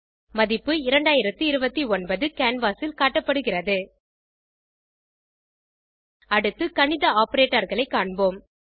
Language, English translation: Tamil, Value 2029 is displayed on the canvas Let us next see the Mathematical Operators